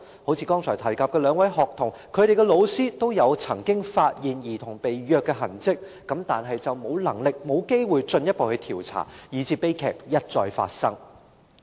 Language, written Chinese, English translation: Cantonese, 正如剛才提及的兩名學童，她們的老師均曾發現她們被虐的痕跡，但沒有能力亦沒有機會進一步調查，以致悲劇一再發生。, As regards the two aforementioned students their teachers had all discovered traces of them being abused but were unable and did not have the opportunity to conduct further investigations leading to repeated tragedies